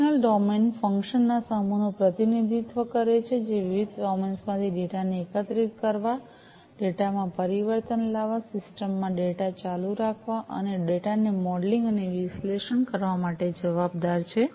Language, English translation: Gujarati, Functional domain represents the set of functions that are responsible for assembling the data from the various domains, transforming the data, persisting the data in the system and modelling and analyzing the data